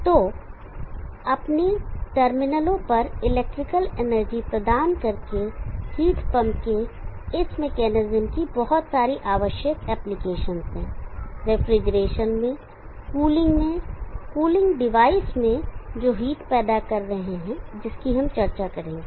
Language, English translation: Hindi, So this mechanism of heat pump by providing an electrical energy at its terminals has a lot of important applications, and refrigeration and cooling and cooling devices which are generating heat which we will discuss